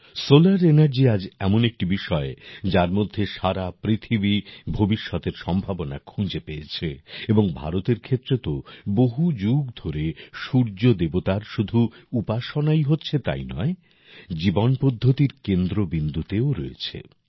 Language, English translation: Bengali, Solar Energy is a subject today, in which the whole world is looking at its future and for India, the Sun God has not only been worshiped for centuries, but has also been the focus of our way of life